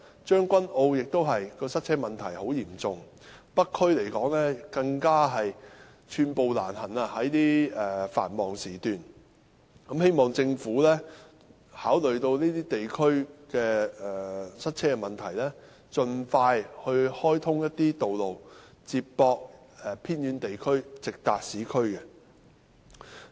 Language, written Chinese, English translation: Cantonese, 將軍澳的塞車問題同樣嚴重，而北區在繁忙時段更是寸步難行，希望政府考慮到這些地區的塞車問題，盡快開通一些道路接駁偏遠地區，直達市區。, The problem of traffic congestion in Tseung Kwan O is similarly serious . In the North District one can hardly move an inch during the rush hours . I hope the Government will taking into account of the problem of traffic congestion in these districts expeditiously open up some roads to link up the remote areas with the urban areas direct